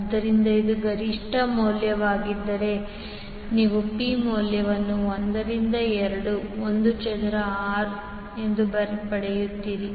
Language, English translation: Kannada, So if it is an peak value you will get the value P as 1 by 2 I square R